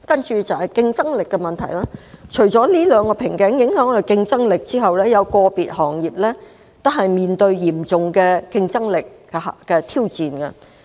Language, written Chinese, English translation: Cantonese, 在競爭力問題方面，除了這兩個瓶頸影響香港的競爭力外，有個別行業亦面對嚴峻的挑戰。, In respect of competitiveness aside from the two bottlenecks that affect Hong Kongs competitiveness some individual industries have to face tough challenges